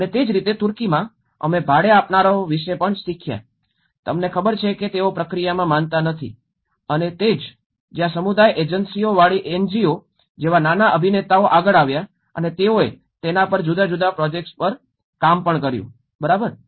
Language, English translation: Gujarati, And similarly, in Turkey, we have also learned about how the renters, you know they are not recognized in the process and that is where the small actors like NGOs with community agencies came forward and they also worked on different projects on it, right